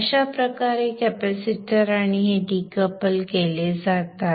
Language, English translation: Marathi, Now this way the capacitor and this are decoupled